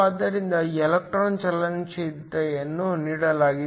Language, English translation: Kannada, So, electron mobility is given